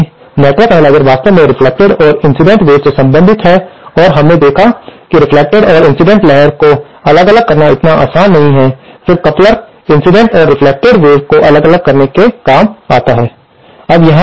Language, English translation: Hindi, Now, since the network analyser actually deals with the reflected and incident wave and we saw that the reflected and incident wave are not so easy to separate, then the couplers come handy in separating the incident and reflected waves